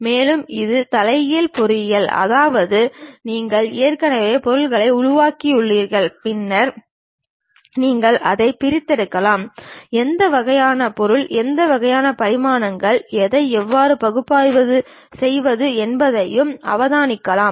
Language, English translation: Tamil, And also it includes reverse engineering; that means, you already have constructed the object, then you can disassemble it, observe what kind of material, what kind of dimensions, how to really analyze that also possible